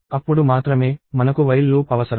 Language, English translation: Telugu, Only then, we will need a while loop